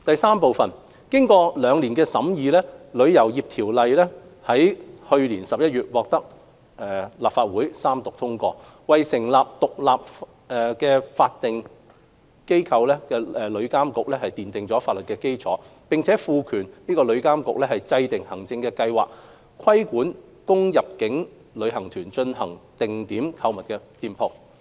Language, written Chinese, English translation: Cantonese, 三經過兩年的審議，《旅遊業條例》於去年11月獲立法會三讀通過，為成立獨立法定機構旅遊業監管局奠下法律基礎，並賦權該局制訂行政計劃，規管供入境旅行團進行定點購物的店鋪。, 3 The Travel Industry Ordinance was passed by the Legislative Council in November 2018 after two years of scrutiny . It provides for the establishment of a statutory body the Travel Industry Authority TIA and empowers TIA to formulate an administrative scheme to regulate shops that inbound tour groups are arranged to patronize